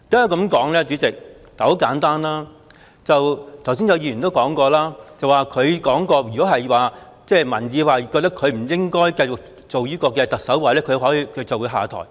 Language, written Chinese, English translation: Cantonese, 代理主席，很簡單，剛才有議員亦提到，林鄭月娥曾表示，如果民意認為她不應該繼續擔任特首，她便會下台。, Deputy President it is very simple . Just now some Members also mentioned that Carrie LAM had indicated that she would step down if the public thought that she should no longer serve as the Chief Executive